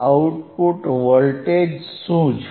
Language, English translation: Gujarati, wWhat is the output voltage